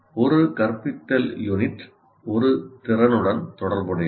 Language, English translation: Tamil, So one instructional unit is associated with one competency